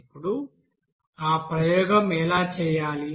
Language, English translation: Telugu, Now how to do that experiment